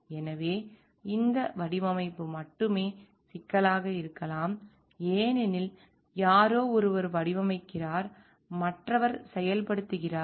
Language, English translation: Tamil, So, but this design only projects may be problematic because somebody one is designing and the other is implementing